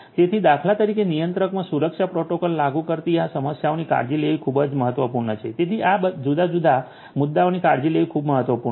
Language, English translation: Gujarati, So, taking care of these issues implementing security protocols in the controller for instance is very important so, to get taking care of all these different issues is very important